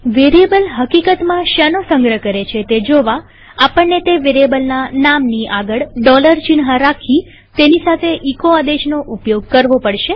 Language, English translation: Gujarati, To see what a variable actually stores we have to prefix a dollar sign to the name of that variable and use the echo command along with it